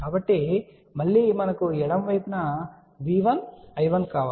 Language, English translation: Telugu, So, again we want V 1 I 1 on the left side